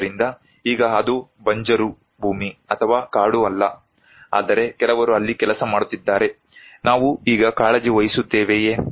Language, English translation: Kannada, So, now if it is not a barren land or a forest, but some people are working there, then do we care now